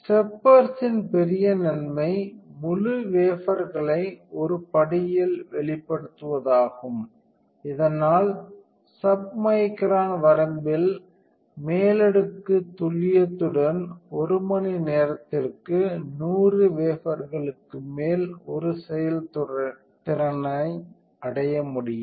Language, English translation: Tamil, The big advantage of the steppers is the exposure of the entire wafer in one step, thus a throughput of more than 100 wafers per hour can be achieved with an overlay accuracy in the submicron range